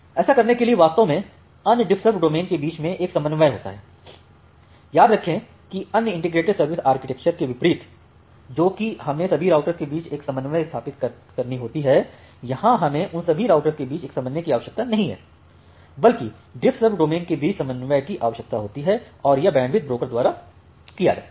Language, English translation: Hindi, To do this it actually have a coordination among other DiffServ domain remember that unlike other integrated service architecture the things that, we have done we required a coordination among all the routers, here we do not required a coordination among all the routers we just required a coordination among all the DiffServ domains, and that is done by this bandwidth broker ok